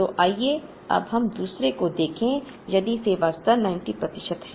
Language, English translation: Hindi, So, let us now look at the other one, if service level is 90 percent